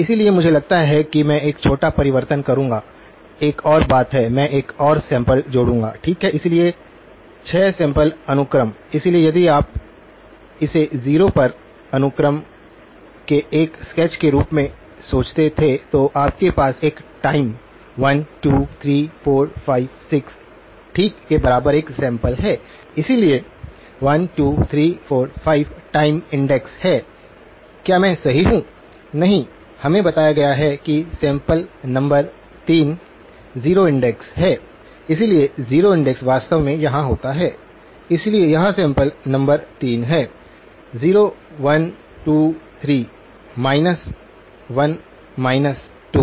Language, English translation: Hindi, So, I think I will make a small change, there is one more; I will add one more sample to the; okay, so 6 sample sequence, so if you were to think of this as a sketch of the sequence at time 0, you have a sample equal to 1, time 1, 2, 3, 4, 5, 6 okay, so 1, 2, 3, 4, 5, is the time index, am i right; No, we are told that the sample number 3 is the 0 index, so the 0 index actually happens here, so this is sample number 3; 0, 1, 2, 3, minus 1, minus 2